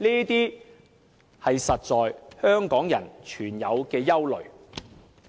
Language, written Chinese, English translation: Cantonese, 這些是香港人實在存有的憂慮。, Hong Kong people really feel the worries